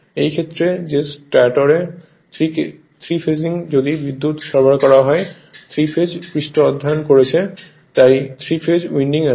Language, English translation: Bengali, In this case that in the your stator 3 phasing if you supply the power, we have studied 3 phase surface, so 3 phase windings are there